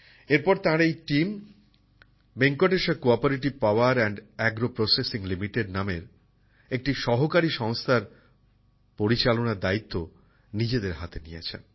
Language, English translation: Bengali, After this his team took over the management of a cooperative organization named Venkateshwara CoOperative Power &Agro Processing Limited